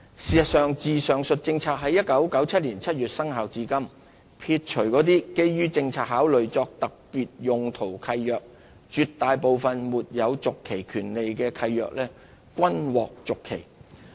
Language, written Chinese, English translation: Cantonese, 事實上，自上述政策於1997年7月生效至今，撇除那些基於政策考慮作特別用途的契約，絕大部分沒有續期權利的契約均獲續期。, As a matter of fact since the above policy came into effect in July 1997 setting aside leases granted for special purposes on policy considerations most leases not containing a right of renewal have been extended